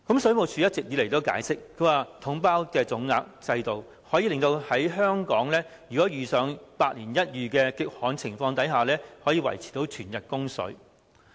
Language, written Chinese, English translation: Cantonese, 水務署一直以來的解釋是，"統包總額"制度可以令香港在遇上百年一遇的極旱情況下，仍然能夠維持全日供水。, The Water Supplies Department has been telling us that adoption of the package deal lump sum approach ensures that Hong Kong enjoys reliable supply of water round - the - clock even under once - in - a - century extreme drought